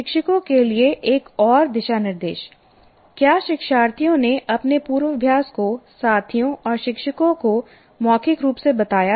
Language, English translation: Hindi, And another guideline to teacher, have learners verbalize their rehearsal to peers and teachers